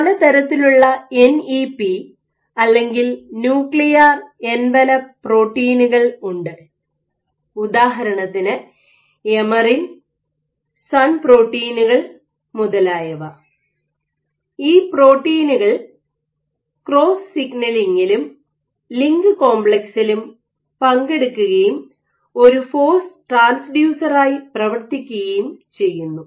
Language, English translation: Malayalam, There are various nuclear envelope proteins or NEPs for example, emerin SUN proteins etcetera, these participate in this cross signaling and the LINC complex, serves as a force transducer ok